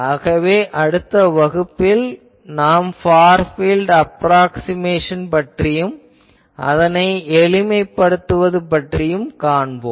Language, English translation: Tamil, So, in the next class, we will do the Far field approximation and we will simplify this